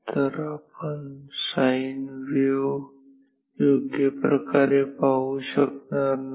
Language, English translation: Marathi, So, we will not see the sine wave correctly